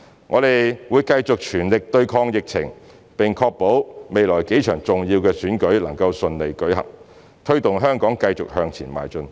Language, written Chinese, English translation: Cantonese, 我們會繼續全力對抗疫情，並確保未來幾場重要的選舉能夠順利舉行，推動香港繼續向前邁進。, We will continue to do our utmost to combat the epidemic and ensure the smooth conduct of the upcoming elections in a bid to facilitate the continuous advancement of society